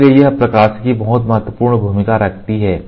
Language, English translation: Hindi, So, this optics place a very very important role